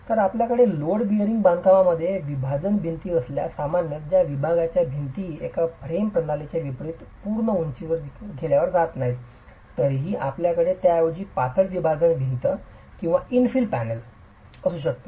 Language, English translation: Marathi, So, if you have partition walls in load bearing constructions, typically these partition walls are not taken to full height, unlike in a frame system where you can still have a rather slender partition wall or an infill panel